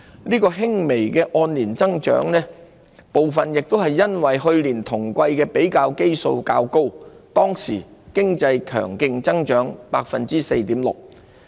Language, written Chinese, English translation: Cantonese, 這輕微的按年增長部分亦由於去年同季的比較基數較高，當時經濟強勁增長 4.6%。, The modest year - on - year growth in the first quarter was also partly a result of the high base of comparison in the same quarter of last year when the economy grew strongly by 4.6 %